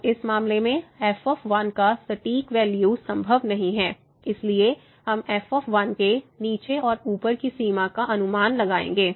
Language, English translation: Hindi, So, in this case the exact value of is not possible so, we will estimate the lower and the upper bound for